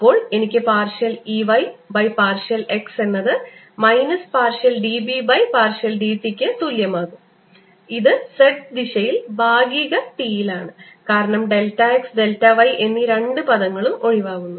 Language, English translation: Malayalam, then gives me partial e y, partial x is equal to minus partial b, which is in z direction, partial t, because these two terms also cancels